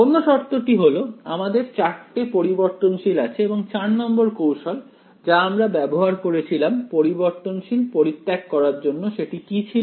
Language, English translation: Bengali, The other condition is, the fine we had four variables and the fourth trick that we used to eliminate all four variables was that of